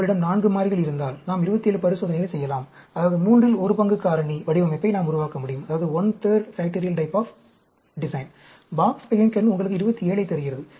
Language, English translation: Tamil, If you have 4 variables, then we can have 27 experiment; that is, we can build up one third factorial type of design; Box Behnken gives you 27